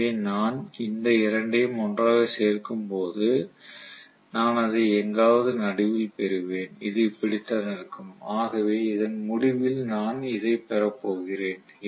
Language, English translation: Tamil, So when I add these two together I will have it somewhere in the middle right this is how it will be, so I am going to have probably this as the resultant